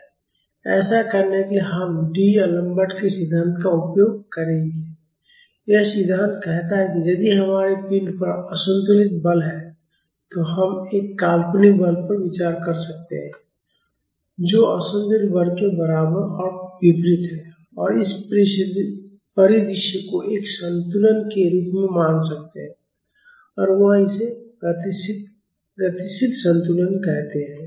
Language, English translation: Hindi, To do this, we will make use of D Alembert’s principle this principle says that if we have an unbalanced force on the body, we can consider a fictitious force which is equal and opposite to the unbalancing force and treat this scenario as a equilibrium and he calls it dynamic equilibrium